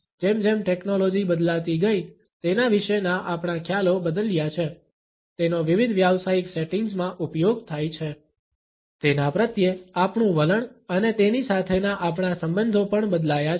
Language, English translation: Gujarati, As the technology changed our perception about it is use in different professional settings, our attitudes towards it and our relationships with it also changed